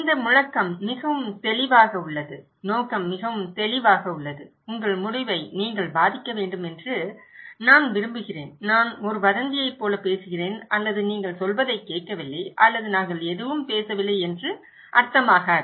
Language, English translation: Tamil, This slogan is pretty clear, the intention is very clear, I want you to influence your decision, it’s not that I am talking like a gossip or you are not listening to me or we are talking anything